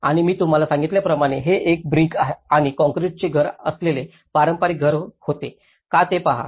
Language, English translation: Marathi, And as I said to you if you see this was a traditional house with a brick and concrete house